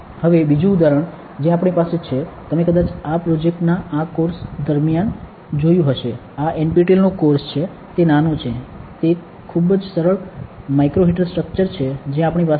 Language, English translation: Gujarati, Now, another example that we have is you might have seen the sensor during this course of this project, course of this NPTEL course it is a small, it is a very simple micro heater structure that we have